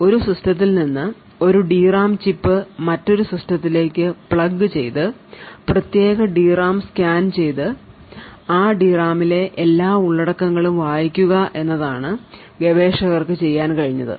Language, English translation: Malayalam, So, what researchers have been able to do is to actually pick a D RAM chip from a system plug it into another system and then scan that particular D RAM and read all the contents of that D RAM